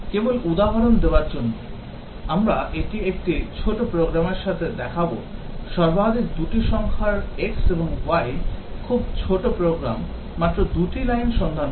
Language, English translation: Bengali, Just to give an example that we will show it with a small program, finding maximum of two integers x and y, very small program, just two line